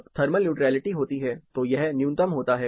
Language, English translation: Hindi, When there is thermal neutrality, this is at it is minimum